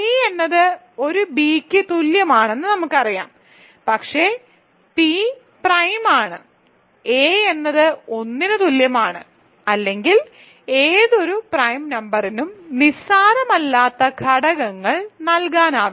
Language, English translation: Malayalam, So, we know p is equal to a b, but p is prime; so, a is equal to 1 or b equal to 1 any prime number cannot factor non trivially